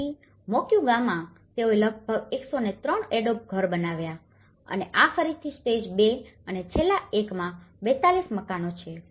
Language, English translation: Gujarati, So, in Moquegua one, they constructed about 103 adobe houses and this is again 42 houses in stage two and in the last one is a 50 concrete block houses